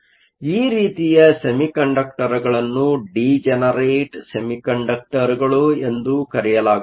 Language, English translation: Kannada, So, these types of semiconductors are called Degenerate Semiconductors